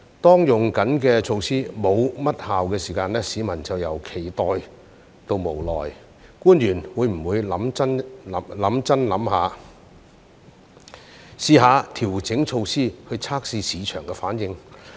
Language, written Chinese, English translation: Cantonese, 當正在採用的措施沒甚麼效用時，市民便由期待到無奈，官員會否認真思考，嘗試調整措施以測試市場反應呢？, When the existing measures are not quite effective peoples eagerness has turned into helplessness . Will the officials give it some serious thought and try to adjust the measures to test the market responses?